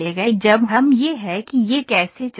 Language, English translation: Hindi, When we this is how it moves